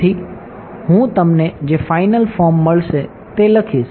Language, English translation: Gujarati, So, I will write down the final form that you get ok